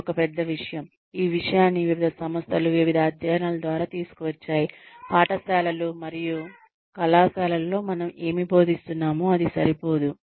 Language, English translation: Telugu, This is one big, this point has been brought up, by various organizations, through various studies that, whatever we are teaching in schools and colleges, is probably not enough